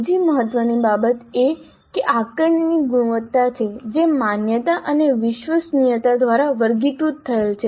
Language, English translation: Gujarati, And another important thing is the quality of the assessment which is characterized by validity and reliability